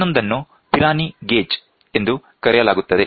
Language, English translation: Kannada, The other one is called as the Pirani gauge